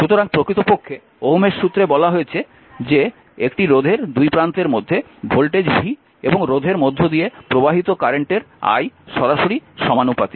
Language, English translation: Bengali, So, actually Ohm’s law states, the voltage v across a resistor is directly proportional to the current i flowing through the resistor